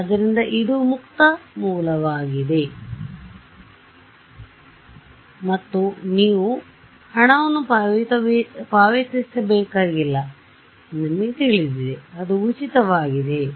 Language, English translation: Kannada, So, it is open source and you know you do not have to pay money for, it is free right